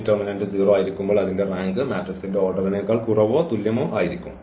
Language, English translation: Malayalam, So, when determinant A is 0 the rank has to be less than or equal to the order of the matrix here it is a square matrix